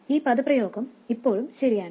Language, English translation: Malayalam, This expression is always correct